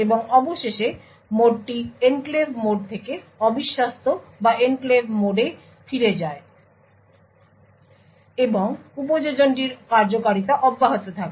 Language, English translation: Bengali, And finally, the mode is switched back from the enclave mode back to the untrusted or the enclave mode and the application continues to execute